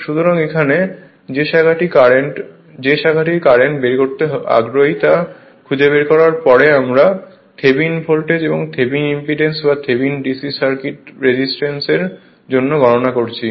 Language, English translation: Bengali, So, that here what you call the branch which are interested in to find the current that is taken out after that we computed Thevenin voltage and Thevenin impedance right or Thevenin for d c circuit Thevenin resistance right; same way we will do it